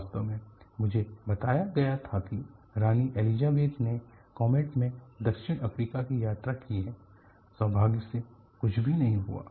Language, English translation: Hindi, In fact, I was told that queen Elizabeth has travelled in the comet to southAfrica; fortunately, nothing happened